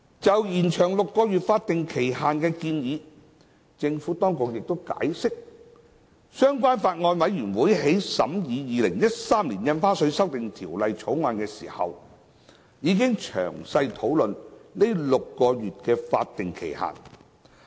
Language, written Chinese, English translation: Cantonese, 就延長6個月法定期限的建議，政府當局亦解釋，相關法案委員會在審議《2013年印花稅條例草案》時，已經詳細討論該6個月的法定期限。, On the suggestion of extending the six - month statutory time limit the Administration has explained that the statutory time limit of six months had been thoroughly discussed by the relevant Bills Committee when it scrutinized the Stamp Duty Amendment Bill 2013